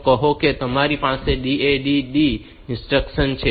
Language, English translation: Gujarati, So, you have instruction like say DAD D